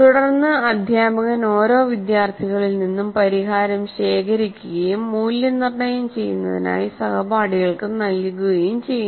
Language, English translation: Malayalam, Then the teacher collects the solution from each student and gives these out for peers to mark